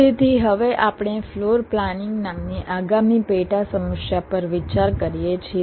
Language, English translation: Gujarati, so we consider now the next sub problem, namely floor planning